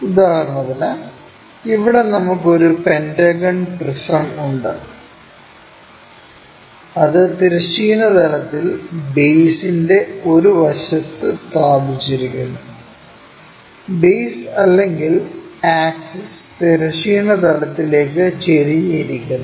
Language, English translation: Malayalam, For example, here we have a pentagonal prism which is place with an edge of the base on horizontal plane, such that base or axis is inclined to horizontal plane